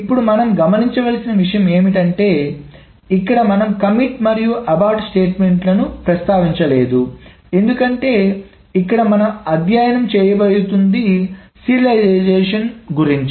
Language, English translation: Telugu, Now also note that we have not mentioned here the commit and about statements because what we are going to study here is about serializability